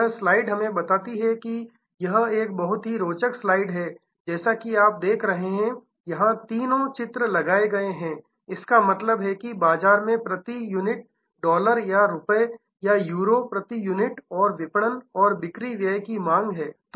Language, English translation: Hindi, So, this slide tells us that this is a very interesting slide as you can see here all three diagrams are put on; that means, market demand per unit dollars or rupees or Euros per unit and marketing and sales expenses